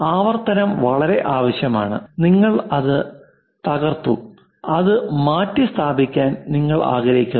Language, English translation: Malayalam, Repetition is very much required, because you broke it and you would like to replace it